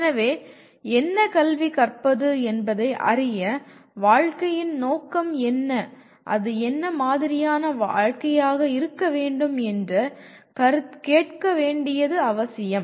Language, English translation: Tamil, So to know what to educate, it becomes necessary to ask what can be the purpose of life and what sort of life it should be